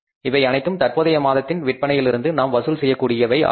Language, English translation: Tamil, These are our cash collections from the current month sales